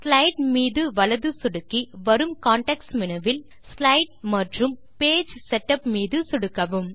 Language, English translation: Tamil, Right click on the slide for the context menu and click Slide and Page Setup